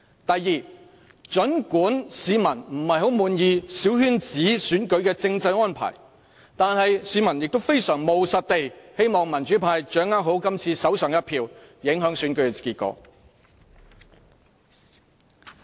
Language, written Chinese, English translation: Cantonese, 第二，儘管市民不太滿意小圈子選舉的政制安排，但市民亦非常務實地，希望民主派掌握好今次手上的一票，影響選舉的結果。, Second even though people are not so pleased with the constitutional arrangements of the small circle election they take pragmatic actions to make the best use of their votes to shape the election results